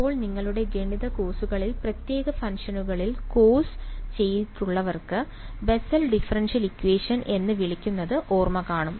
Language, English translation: Malayalam, Now, those of you who have done course on special functions whatever in your math courses might recall what is called the Bessel differential equation